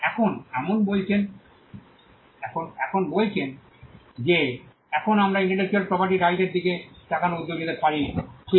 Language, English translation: Bengali, Now, having said that now we can venture to look at the nature of intellectual property, right